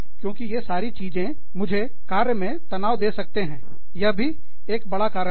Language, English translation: Hindi, So, because of all of these things, my work, can be take on the stress, is also a big factor